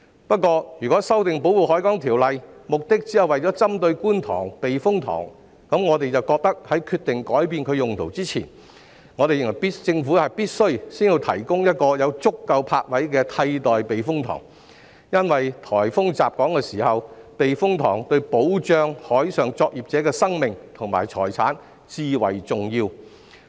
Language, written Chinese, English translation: Cantonese, 不過，如果修訂《條例》只是針對觀塘避風塘，我們便認為在決定改變其用途前，政府必須先提供一個有足夠泊位的替代避風塘，因為颱風襲港時，避風塘對於保障海上作業者的生命和財產至為重要。, However if the amendment of the Ordinance merely targets the Kwun Tong Typhoon Shelter we believe that the Government must first provide a replacement typhoon shelter with sufficient berthing spaces before deciding to alter its use . It is because when Hong Kong is hit by a typhoon typhoon shelters are vital to protecting the lives and properties of marine workers